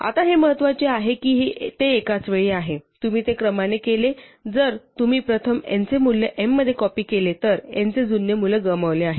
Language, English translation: Marathi, Now it is important that it is simultaneous, because if you do it in either order, if you first copy the value of n into m, then the old value of n is lost